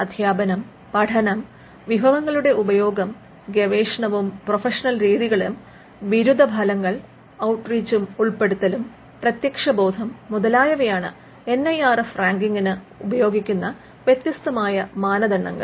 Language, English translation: Malayalam, Teaching, learning and the resources employed, research and professional practices, graduation outcomes, outreach and inclusivity, perception; there are different yardsticks that the NIRF uses in coming up with its ranking